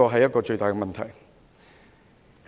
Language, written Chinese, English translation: Cantonese, 這是最大的問題。, This is the biggest question